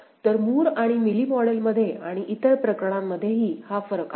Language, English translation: Marathi, So, this is the difference between Moore and Mealy model and for the other cases also